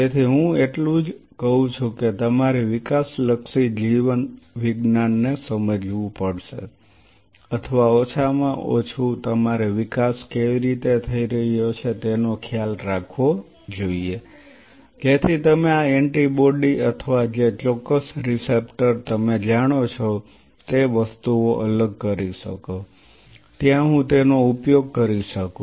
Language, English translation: Gujarati, So, that is what I say that you have to understand developmental biology or at least you should keep a tab how the development is happening so that you can separate out things you know exactly this antibody or this particular receptor will be there I can utilize I can capitalize on it